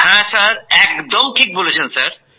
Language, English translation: Bengali, Yes sir, that is correct sir